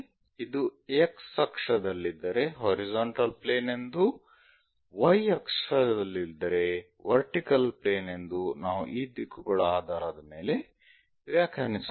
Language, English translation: Kannada, Based on the directions if it is on x axis horizontal plane, if it is on y axis vertical plane we will define